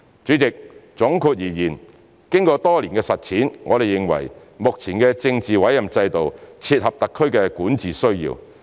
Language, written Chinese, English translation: Cantonese, 主席，總括而言，經過多年的實踐，我們認為目前的政治委任制度切合特區的管治需要。, President in summary after years of practice we consider the current political appointment system can meet the needs of governance in HKSAR